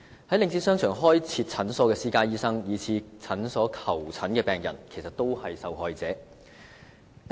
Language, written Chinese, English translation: Cantonese, 在領展商場開設診所的私家醫生，以至向診所求診的病人，也是受害者。, Even private medical practitioners operating clinics in the shopping arcades under Link REIT as well as their patients have become victims